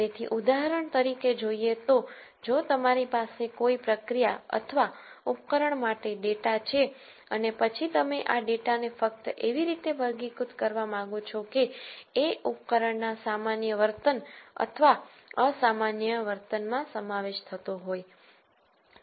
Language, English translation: Gujarati, So, examples are for example, if you have data for a process or an equipment and then you might want to simply classify this data as belonging to normal behaviour of the equipment or abnormal behaviour of the equipment